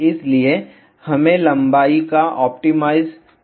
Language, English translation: Hindi, So, we need to optimize the length